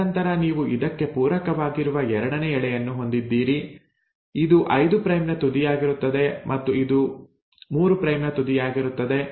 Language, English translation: Kannada, And then you have a second strand which is complementary to it, where this becomes the 5 prime end and this becomes the 3 prime end